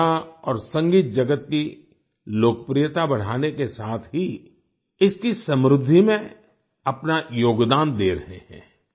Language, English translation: Hindi, These, along with the rising popularity of the art and music world are also contributing in their enrichment